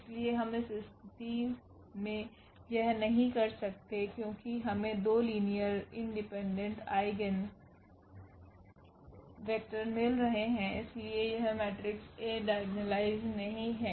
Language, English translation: Hindi, So, we cannot do in this case because we are getting 2 linearly independent eigenvectors and therefore, this matrix A is not diagonalizable